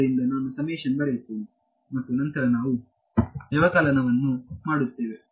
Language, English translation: Kannada, So, I will just write out the summation and then we will do the subtraction